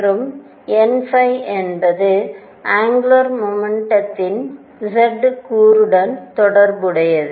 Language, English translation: Tamil, And n phi is related to the z component of the angular momentum